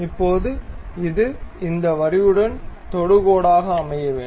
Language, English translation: Tamil, Now, this supposed to be tangent to this line